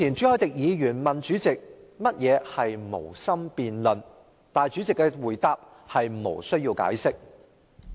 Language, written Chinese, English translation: Cantonese, 朱凱廸議員較早前問主席何謂"無心辯論"，主席的答覆是"無須解釋"。, Earlier on Mr CHU Hoi - dick asked the President what he meant by no intention of debating and the President replied that he did not have to give an explanation